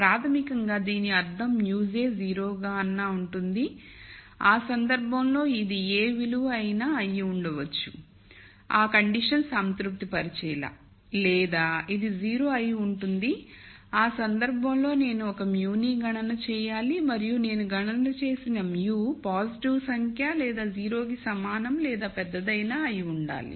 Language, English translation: Telugu, Basically what it means is either mu j is 0 in which case this is free to be any value such that this condition is satisfied or this is 0 in which case I have to compute a mu and the mu that I compute has to be such that it is a positive number or it is greater than equal to 0